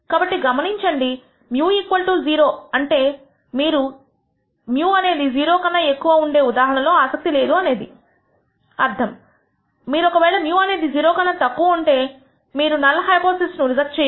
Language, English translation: Telugu, So, notice that mu equals 0 implies that you are not interested in the case when mu is less than 0, you are you are not going to reject the null hypothesis if mu is less than 0 you are going to reject the null hypothesis only mu is greater than 0